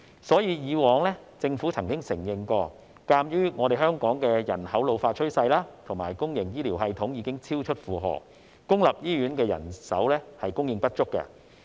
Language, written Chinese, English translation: Cantonese, 所以，以往政府曾承認，鑒於香港人口老化趨勢和公營醫療系統已經超出負荷，公營醫院的人手供應不足。, For this reason the Government has acknowledged the manpower shortage in public hospitals as a result of Hong Kongs ageing population and the overloaded public healthcare system